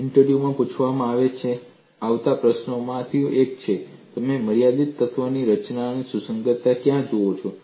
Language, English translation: Gujarati, One of the questions that could be asked an interview is where do you see compatibility infinite element formulation